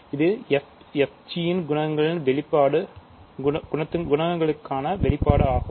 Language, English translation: Tamil, So, this is the expression for coefficient of f g